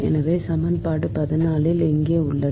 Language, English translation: Tamil, here it is so equation fourteen, right